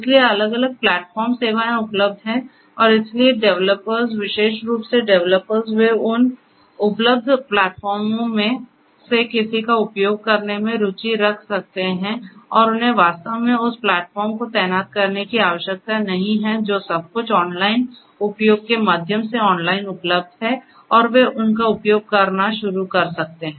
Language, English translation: Hindi, So, there are different platform services are available and so people could you know the developers, particularly developers they could be interested in using any of those available platforms and they do not really have to deploy that platform everything is available online through online access and they could start using them